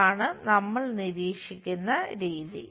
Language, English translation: Malayalam, This is the way we observe it